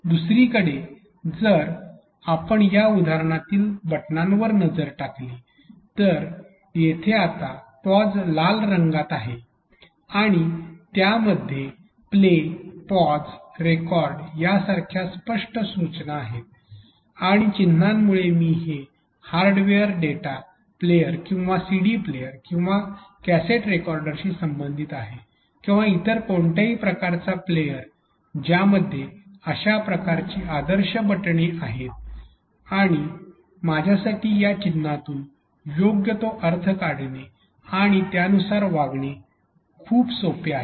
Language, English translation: Marathi, On the other hand if you look at the buttons on this example where the pause is red right now and it has explicit labors like play pause record and with our icon I can relate it to the hardware data players or CD player or a cassette recorder or a any kind of player which has these standard buttons and that is very easy for me to get the meaning out of these icons and act accordingly